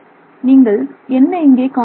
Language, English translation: Tamil, So, what do you see here